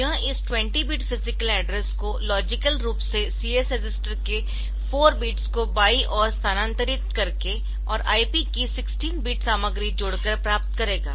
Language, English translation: Hindi, So, this will be converting this it will be getting this 20 bit physical address by logically shifting the content of CS register 4 bits to the left and adding the 16 bit contents of IP